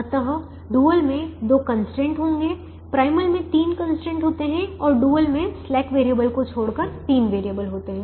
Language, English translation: Hindi, the primal has three constraints and the dual will have three variables, excluding the slack variable